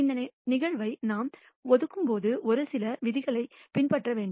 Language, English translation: Tamil, When we assign this probability it has to follow certain rules